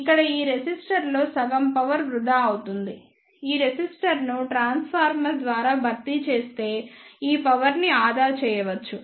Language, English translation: Telugu, Here half of the power will be wasted in this resistor this power can be saved if we replace this resistor by a transformer